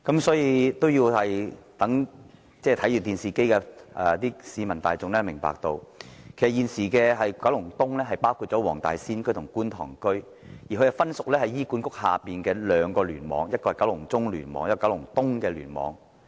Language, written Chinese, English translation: Cantonese, 所以，我希望正在看電視直播的市民大眾明白，現時的九龍東包括黃大仙區和觀塘區，而這兩個地區則分屬醫院管理局轄下的兩個聯網，分別是九龍中聯網和九龍東聯網。, This is why I hope members of the general public who are watching the television live broadcast can understand that Kowloon East currently covers the Wong Tai Sin and Kwun Tong areas but these two areas are under two separate clusters of the Hospital Authority HA namely the Kowloon Central Cluster KCC and KEC